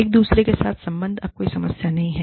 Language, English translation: Hindi, Connection with each other, is no longer a problem